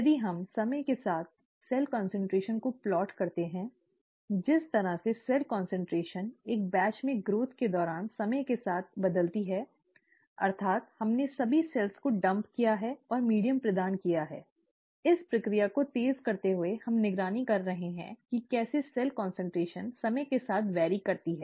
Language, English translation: Hindi, If we plot the cell concentration with time, the way the cell concentration varies with time during growth in a batch, that is we have dumped all the cells and provided the medium and so on so forth, staggering the process and we are monitoring how the cell concentration varies with time